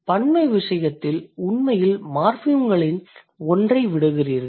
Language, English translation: Tamil, In case of plural, you are actually dropping one of the morphemes